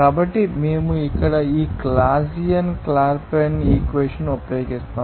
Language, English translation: Telugu, So, if we use this Clausius Clapeyron equation here